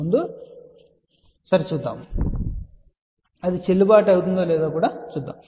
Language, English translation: Telugu, So, let us see whether that is valid or not